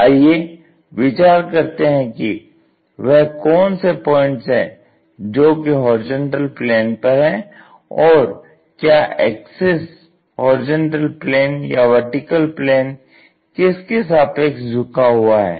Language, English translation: Hindi, Think about it what are the points resting on horizontal plane, is the axis incline with the horizontal plane or vertical plane